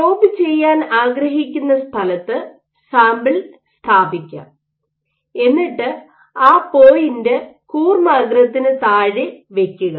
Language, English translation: Malayalam, So, you can position the sample at the point you want to be probed you can put that point underneath the tip